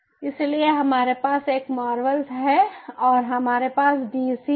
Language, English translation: Hindi, ok, so we have a marvel and we have the dc